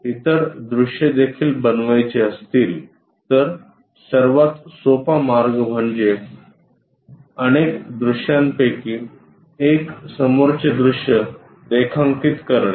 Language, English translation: Marathi, If we would like to construct other views also, the easiest way is drawing one of the view front view